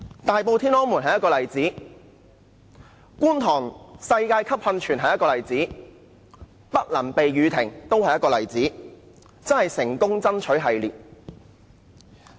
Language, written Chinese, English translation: Cantonese, 大埔"天安門"是一個例子，觀塘的"世界級"音樂噴泉是一個例子，"不能避雨亭"都是一個例子，的確是"成功爭取"系列。, The Tiananmen Square in Tai Po is an example so do the world - class musical fountain on the Kwun Tong promenade and the rain shelters that do not afford any shelter in Quarry Bay―all of these projects are successfully secured by the pro - establishment DC members